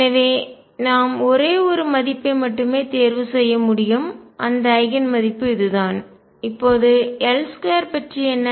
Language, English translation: Tamil, So, we can choose only one right and that Eigen value is this, now what about L square